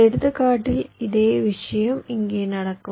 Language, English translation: Tamil, so same thing will happen here in this example